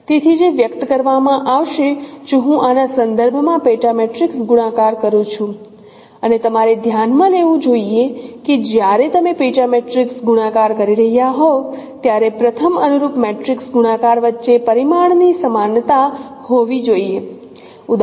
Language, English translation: Gujarati, So which will be expressed if I perform the sub matrix multiplication with respect to this and you should note that when you are doing sub matrix multiplication, the first check should be dimensionality matching between the corresponding matrix multiplication